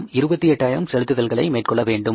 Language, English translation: Tamil, We have to make this payment of 28,000s